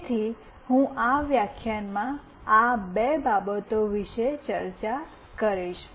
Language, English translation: Gujarati, So, I will be discussing these two things in this lecture